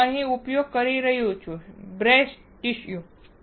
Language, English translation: Gujarati, That is why I am using here see breast tissue